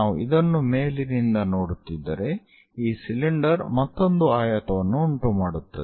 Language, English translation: Kannada, If we are looking from top of that this cylinder again follows another rectangle